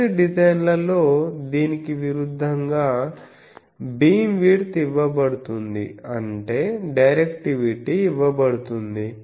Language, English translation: Telugu, In some designs the opposite, the beam width is given; that means, the directivity is given